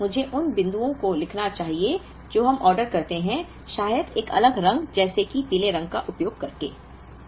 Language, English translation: Hindi, So, let me write down the points what we order, using a different colour perhaps yellow